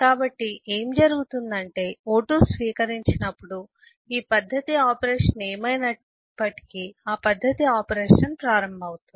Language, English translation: Telugu, so what happens is when o2 saves that, whatever is this method operation, that method operation will start being performed